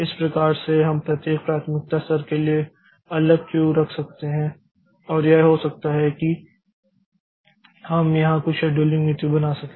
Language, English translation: Hindi, So, that is how this we can have separate queue for each priority level and it can be we can have some scheduling policy there